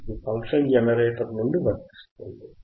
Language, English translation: Telugu, From the function generator